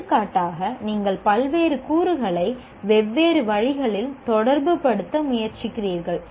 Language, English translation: Tamil, For example, you are trying to relate the various elements in different ways